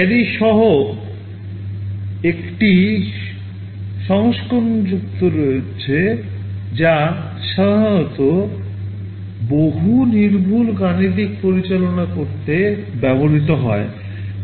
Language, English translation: Bengali, There is a version add with carry that is normally used to handle multi precision arithmetic